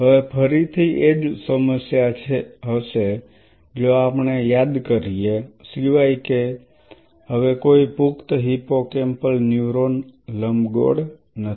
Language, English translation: Gujarati, Now, again the same problem if we remember, except now there is no more adult hippocampal neuron ellipse I am talking to you